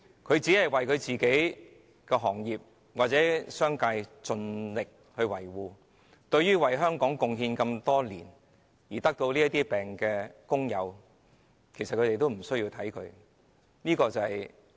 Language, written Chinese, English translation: Cantonese, 他竭力維護自己業界及商界的利益，對為香港貢獻多年而患病的工友，卻完全視若無睹。, He strives to defend the interests of his sector and the business community and is indifferent to the suffering of sick workers who had contributed to Hong Kong for many years